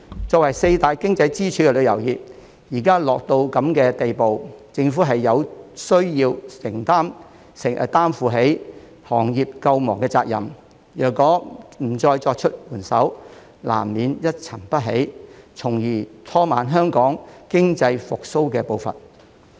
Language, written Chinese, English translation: Cantonese, 作為四大經濟支柱的旅遊業，現在卻落得如此地步，政府有需要擔負起行業救亡的責任，如果不再伸出援手，難免一沉不起，從而拖慢香港經濟復蘇的步伐。, As one of the four pillars of the economy the tourism industry is now in such a state that the Government has to take up the responsibility of saving the industry . If the Government still refuses to lend a helping hand the industry will inevitably be declining thus slowing down the pace of Hong Kongs economic recovery